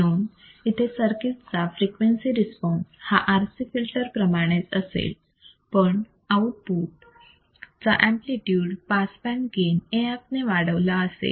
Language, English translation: Marathi, So, frequency response of the circuit will be same as that of the RC filter, except that amplitude of the output is increased by the pass band gain AF